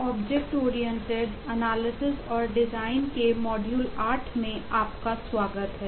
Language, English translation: Hindi, welcome back to module 12 of object oriented analysis and design